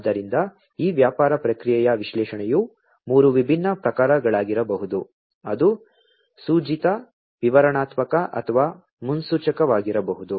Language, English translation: Kannada, So, this business processing analytics could be of 3 different types, it could be prescriptive, descriptive or predictive